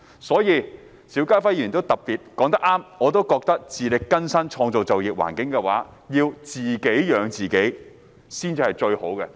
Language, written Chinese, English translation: Cantonese, 所以，邵家輝議員說得很對，我也認為自力更生、創造良好就業環境、自己養活自己才是最好的。, Hence what Mr SHIU Ka - fai has said is right . I also think that people should be self - reliant and it is most desirable to create a favourable employment environment in which people can support their own living